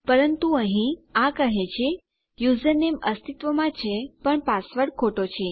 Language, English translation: Gujarati, But here, it is saying that my username does exist but my password is wrong